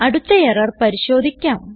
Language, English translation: Malayalam, Let us look at the next error